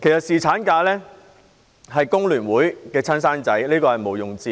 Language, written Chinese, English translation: Cantonese, 侍產假是工聯會的"親生仔"，這點毋庸置疑。, There is no doubt that paternity leave is the baby of The Hong Kong Federation of Trade Unions